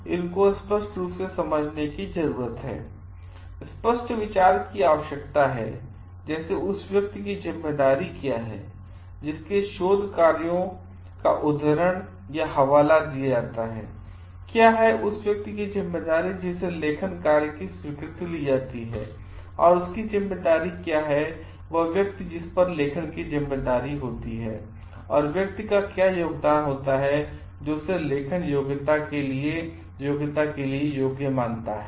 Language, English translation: Hindi, So, these needs to be clearly understood clear, clear idea needs to be taken like what is the responsibility of the person whose works is cited, what is the responsibility for the person who is acknowledged and what is the responsibility of the person who is like authorship and what makes the person what degree of contribution makes the person qualify eligible for authorship